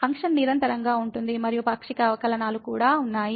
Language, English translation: Telugu, The function is continuous and also partial derivatives exist